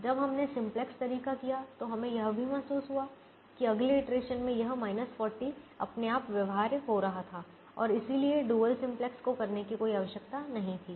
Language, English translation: Hindi, we also realize that is, in the next iteration this minus forty by itself was becoming feasible and therefore there was no need to do the dual simplex way